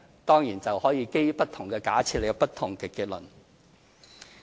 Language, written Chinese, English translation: Cantonese, 當然，這是可以基於不同的假設而有不同的結論。, Of course the difference in the conclusions can be a result of different assumptions